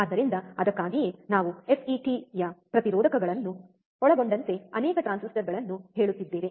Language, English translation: Kannada, So, that is why we are saying as many transistors including FET's resistors